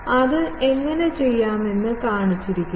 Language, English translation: Malayalam, It has been shown that how to do that